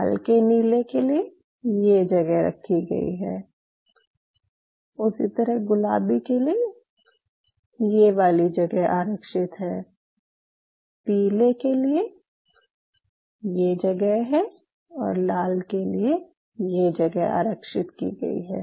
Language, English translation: Hindi, So, for light blue this place is for light green this is reserved, for pink this is reserved, for yellow this part is reserved, for red this part is reserved